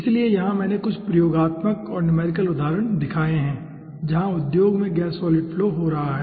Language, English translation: Hindi, so here i have shown some examples, experimental and numerical examples where gas solid is occurring in industry